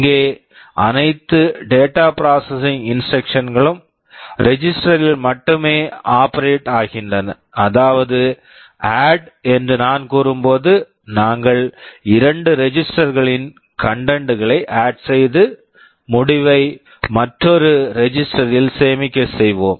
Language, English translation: Tamil, Here all data processing instructions operate only on registers; that means, when I say add we will be adding the contents of two registers and storing the result back into another register